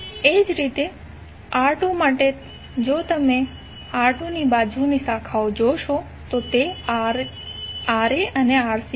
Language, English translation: Gujarati, Similarly for R2, if you see the adjacent branches across R2, those are Rc and Ra